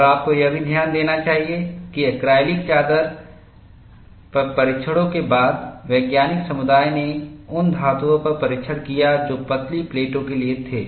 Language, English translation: Hindi, And you should also note, after the tests on acrylic sheets, the scientific community did tests on metals, that were for thin plates